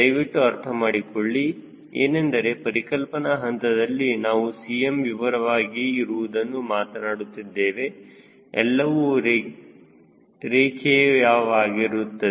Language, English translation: Kannada, please understand, at a conceptual stage we are talking about the expansion of cm, assuming everything to be linear, ok, so if this is a point zero